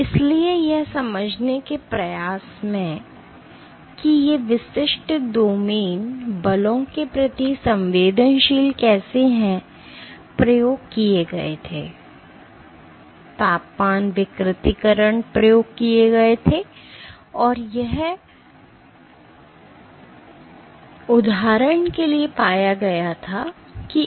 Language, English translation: Hindi, So, in an attempt to understand how these individual domains are sensitive to forces, experiments were done, temperature denaturation experiments were done, and it was found for example, that FN 3